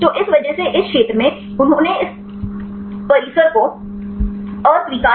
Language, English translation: Hindi, So, in this because of the region; they rejected this compound